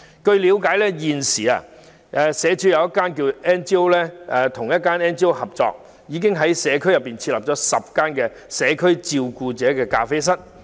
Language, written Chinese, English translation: Cantonese, 據我了解，社署現與一家非政府機構合作，並已在社區設立10家"社區照顧者咖啡室"。, As far as I know the Social Welfare Department is now working with a non - governmental organization and has set up 10 carer cafés in various districts